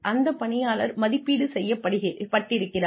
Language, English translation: Tamil, The employee has been appraised